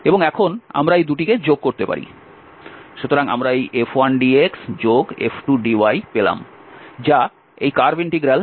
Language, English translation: Bengali, And now we can add the 2 so we have this F 1 dx F 2 dx that is the curve integral this F dot dr